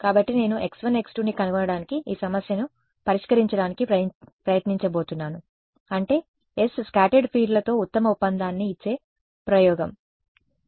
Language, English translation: Telugu, So, I am going to try to solve this problem to find out what is that x 1 x 2 which gives the best agreement with s the scattered fields that is the experiment ok